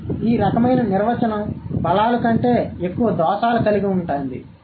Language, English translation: Telugu, So, this kind of a definition has more flaws than the strengths, right